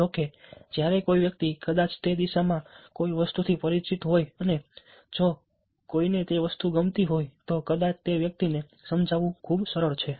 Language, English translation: Gujarati, however, when somebody is familiar with something, probably in that direction, and if somebody likes that thing, it's probably much easier to persuade that person